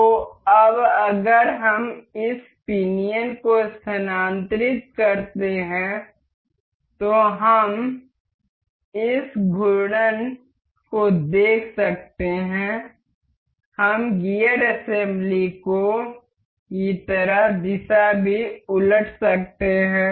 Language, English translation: Hindi, So, now, if we move this pinion we can see this rotating we can also reverse the direction like in gear assembly